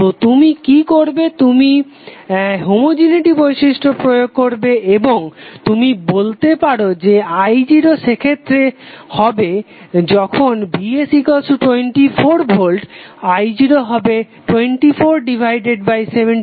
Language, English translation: Bengali, So what you will do you will simply use the homogeneity property and you can say that the i0 in that case when Vs is 24 volt would be 24 by 76 ampere